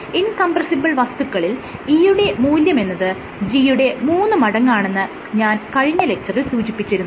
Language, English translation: Malayalam, So, in the last class I have also told you that for an incompressible material your E, I can write it simply as 3G